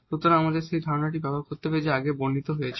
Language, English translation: Bengali, So, we have to use the idea which is described just before